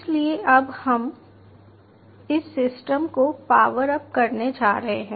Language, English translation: Hindi, so now we are going to power up this system